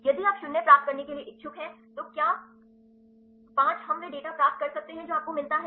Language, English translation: Hindi, If you are interested to get 0 to 5 can we get the get it that you get the data